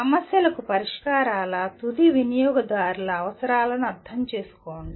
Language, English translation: Telugu, Understand the requirements of end users of solutions to the problems